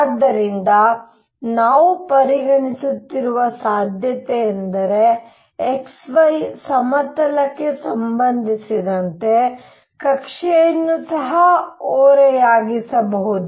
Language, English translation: Kannada, So, the possibility we are considering is that the orbit could also be tilted with respect to the xy plane